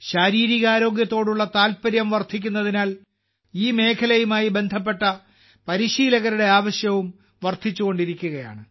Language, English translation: Malayalam, The way interest in physical health is increasing, the demand for coaches and trainers related to this field is also rising